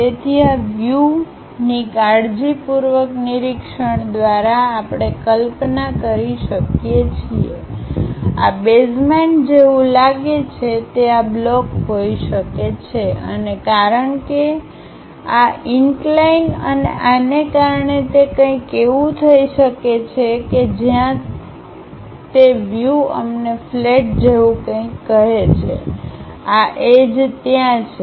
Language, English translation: Gujarati, So, by carefully observing these views we can imagine that, may be the block the basement might look like that and because this inclination thing and because of this, it might be something like it goes in that way where the views tell us something like a flat base is there